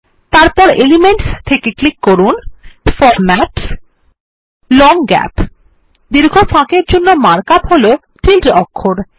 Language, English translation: Bengali, Then from the Elements window click on Formatsgt Long Gap The mark up for long gap is the tilde character